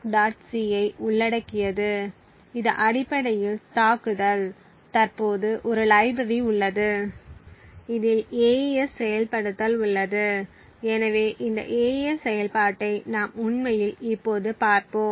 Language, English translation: Tamil, c which is essentially the attack and there is also a library that is present contains the AES implementation, so we will actually take a look at this AES implementation